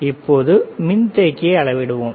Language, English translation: Tamil, Now, let us measure the capacitor